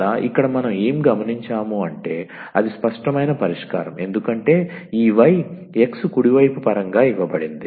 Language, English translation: Telugu, And therefore, but what else we observe here where that is the explicit solution because this y is given in terms of the x right hand side